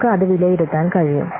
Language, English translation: Malayalam, So we can evaluate it